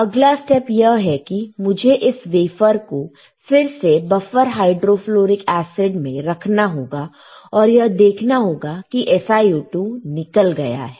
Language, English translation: Hindi, Next step is I had to again; though I can again keep this wafer in the BHF in the buffer hydrofluoric acid and I will see that the SiO2 is removed